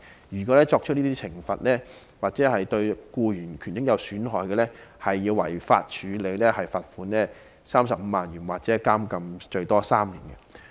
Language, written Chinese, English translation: Cantonese, 如果僱主作出懲罰或令僱員的權益受損，便屬違法，可被罰款35萬元或監禁最多3年。, It is an offence for employers to punish or undermine the rights and interests of employees . Offenders are liable to a fine of 350,000 or a maximum imprisonment for three years